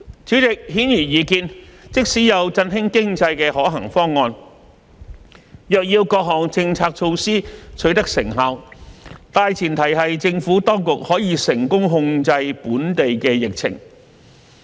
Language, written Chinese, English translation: Cantonese, 主席，顯而易見，即使有振興經濟的可行方案，若要各項政策措施取得成效，大前提是政府當局可以成功控制本地疫情。, President obviously even if there are viable plans to revitalize the economy the effectiveness of the relevant policy measures will hinge on the success of the Government in controlling the local epidemic situation